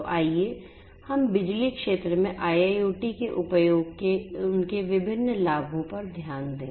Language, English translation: Hindi, So, let us look at their different advantages of the use of IIoT in the power sector